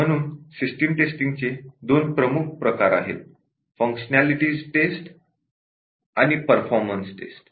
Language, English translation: Marathi, So, there are two major types on system testing, the functionality test and performance test